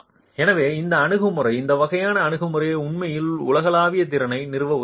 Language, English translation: Tamil, So this approach, this sort of an approach, is actually helping you establish a global capacity